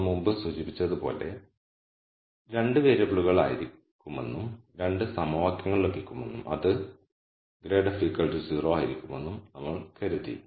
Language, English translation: Malayalam, And as we mentioned before we thought the constraint that would have been 2 variables and you would have got 2 equations which would have been grad f equal to 0